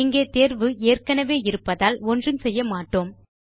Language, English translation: Tamil, Here it is already selected, so we will not do anything